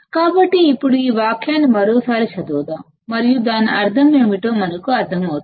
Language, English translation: Telugu, So, now let us read this sentence once again and we will understand what does it mean